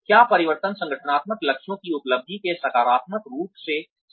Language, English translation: Hindi, Is the change, positively related to the achievement, of organizational goals